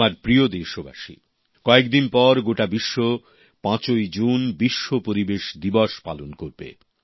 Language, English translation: Bengali, a few days later, on 5th June, the entire world will celebrate 'World Environment Day'